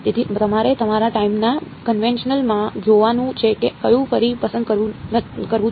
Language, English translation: Gujarati, So, you have to see in your time convention which one to choose again